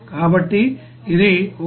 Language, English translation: Telugu, So, it will be 1